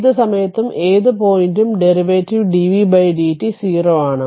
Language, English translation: Malayalam, So, any time any place any point you take the derivative dv by dt will be 0